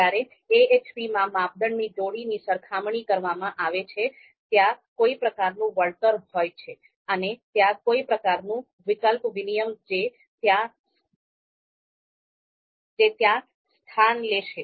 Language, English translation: Gujarati, So when we do pairwise comparisons of criteria in AHP so see there is going to be some sort of compensation, some sort of trade off is going to take place over there